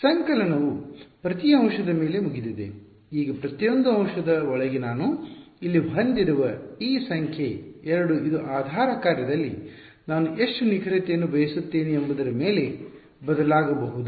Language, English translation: Kannada, The summation is over every element, now inside each element this number 2 that I have over here this can vary depending on how much accuracy I want in the basis function ok